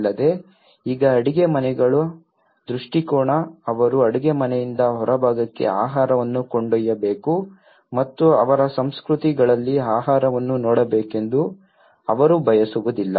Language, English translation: Kannada, Also the orientation of the kitchens now, they have to carry the food from the kitchen to the outside and in their cultures, they donÃt want the food to be seen